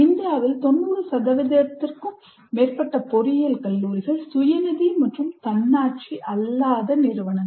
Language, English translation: Tamil, And more than 90% of engineering colleges in India are self financing and non autonomous institutions